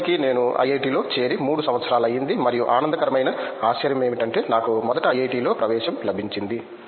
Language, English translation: Telugu, It’s been it’s been 3 years from now I have joined IIT and the pleasant surprise is that I got admission in IIT first